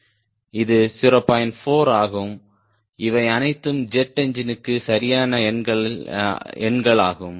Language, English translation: Tamil, these are all typical numbers, right for jet engine